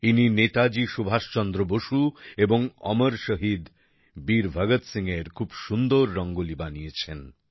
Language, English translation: Bengali, He made very beautiful Rangoli of Netaji Subhash Chandra Bose and Amar Shaheed Veer Bhagat Singh